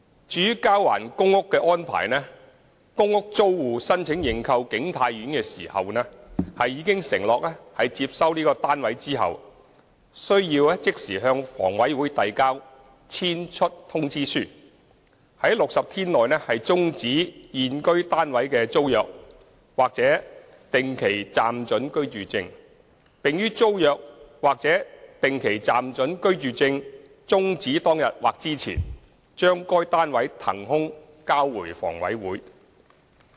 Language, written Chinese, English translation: Cantonese, 至於交還公屋的安排，公屋租戶申請認購景泰苑時，已承諾在接收單位後須即時向房委會遞交"遷出通知書"，在60天內終止現居單位的租約或定期暫准居住證，並於租約或定期暫准居住證終止當日或之前將該單位騰空交回房委會。, As for the surrender of public rental housing PRH units PRH tenants who applied for the purchase of King Tai Court undertook that upon taking over the newly purchased flat they would immediately submit a Notice - to - Quit to HA for terminating the tenancy agreement or fixed - term licence of their residing unit within 60 days and return the unit in vacant possession to HA on or before the day the tenancy agreement or fixed - term licence is terminated